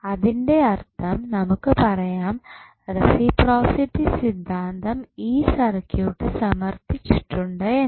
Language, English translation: Malayalam, So, that means that we can say that the reciprocity theorem is justified in this particular circuit